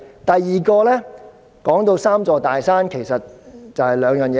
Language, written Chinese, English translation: Cantonese, 第二，"三座大山"其實就是關乎兩件事。, Second the three big mountains involves two issues in actuality